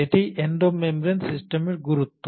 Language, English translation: Bengali, So that is the importance of the Endo membrane system